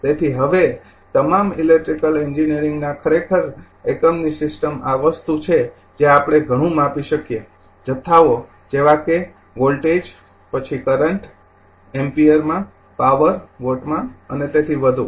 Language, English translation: Gujarati, So, now system of unit actually in all electrical engineer is this thing we deal with several measurable quantity like quantities like voltage your then current ampere right power watt and so on